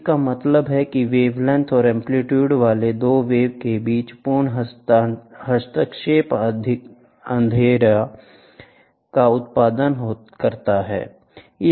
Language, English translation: Hindi, This means that complete interference between the 2 waves having the same wavelength and the amplitude produces darkness